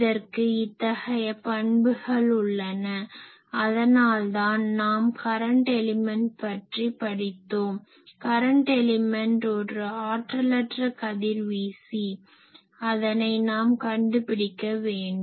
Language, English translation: Tamil, And, they have these all properties that is why we studied current element, current element is the very inefficient radiator, we will try to find that